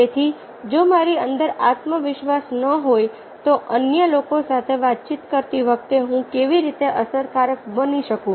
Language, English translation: Gujarati, so if i am not having confidence within, how can i be effective while talking, interacting with other